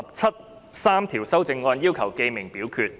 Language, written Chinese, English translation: Cantonese, 陳志全議員要求點名表決。, Mr CHAN Chi - chuen claimed a division